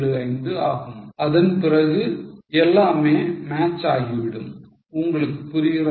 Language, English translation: Tamil, 875 and then everything matches